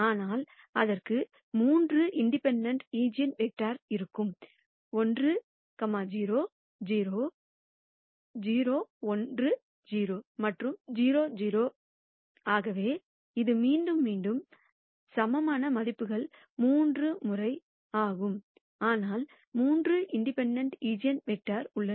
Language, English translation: Tamil, But, it would have three independent eigenvectors; 1, 0, 0; 0, 1, 0 and 0, 0, So, this is a case where eigenvalues repeated is thrice, but there are three independent eigenvectors